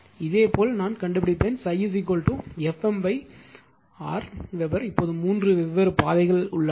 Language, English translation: Tamil, I will find out similarly phi is equal to F m by R Weber now we have to there are three different path